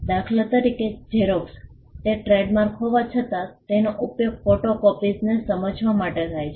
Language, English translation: Gujarati, For instance, Xerox though it is a trademark is commonly used to understand photocopies